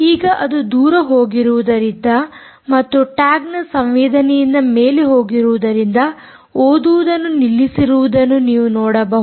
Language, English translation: Kannada, you can see that it has stopped reading now because the distance has gone over and above the receiver sensitivity, the sensitivity of the tag